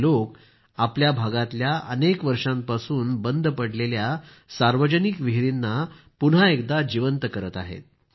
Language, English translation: Marathi, These people are rejuvenating public wells in their vicinity that had been lying unused for years